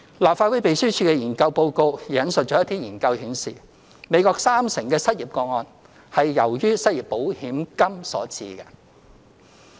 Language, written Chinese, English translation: Cantonese, 立法會秘書處研究報告也引述一些研究顯示，美國三成失業個案是由於失業保險金所致。, The Information Note of the Legislative Council Secretariat has also cited some studies revealing that 30 % of the unemployment cases in the United States US were due to the unemployment insurance benefits